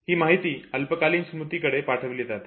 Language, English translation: Marathi, Such input pass on to shorter memory